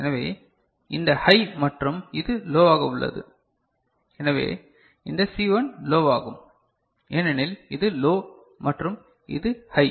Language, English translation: Tamil, So, this high and this is low so, this C1 will become low because this is low and this is high